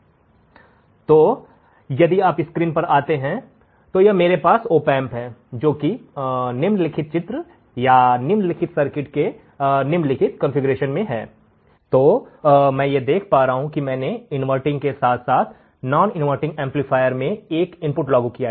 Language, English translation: Hindi, So, if you come back to the screen, so if I have an opamp in the following configuration, in the following schematic or following circuit, then what I see is that I am applying an input to the inverting as well as non inverting amplifier correct applying an input to the inverting as well as non inverting terminal of the amplifier